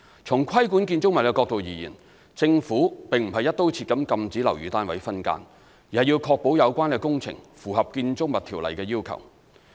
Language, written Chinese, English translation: Cantonese, 從規管建築物的角度而言，政府並非"一刀切"禁止樓宇單位分間，而是要確保有關工程符合《建築物條例》的要求。, From the perspective of building regulation the Government does not adopt a sweeping approach to prohibit subdivided units but ensures that all works are in compliance with the requirements under the Buildings Ordinance BO